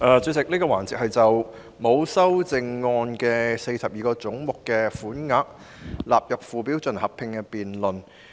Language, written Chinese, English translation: Cantonese, 主席，這個環節是就42個沒有修正案的總目的款額納入附表進行合併辯論。, Chairman in this debate session I am going to discuss Head 121―Independent Police Complaints Council